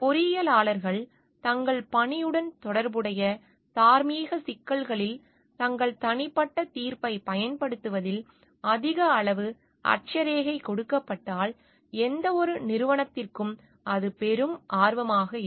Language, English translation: Tamil, It will be a great interest of any organisation if engineers are given a great degree of latitude in exercising their personal judgement in moral issues relevant to their job